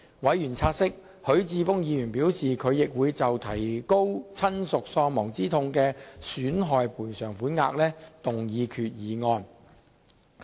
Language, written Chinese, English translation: Cantonese, 委員察悉，許智峯議員表示他亦會就提高親屬喪亡之痛賠償款額動議決議案。, Members noted that Mr HUI Chi - fung had indicated he would also propose a resolution to increase the bereavement sum